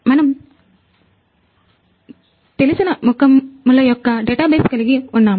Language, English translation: Telugu, We have a database of known faces